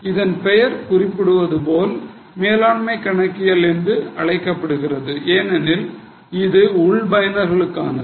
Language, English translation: Tamil, As the name suggests, it is called management accounting because it's mainly for internal users